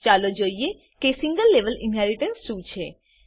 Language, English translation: Gujarati, Let us see what is single level inheritance